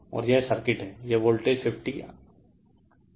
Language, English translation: Hindi, And this is the circuit, this is voltage 50 angle 45 degree